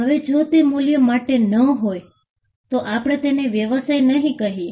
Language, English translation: Gujarati, Now, if it is not for value, then we do not call it a business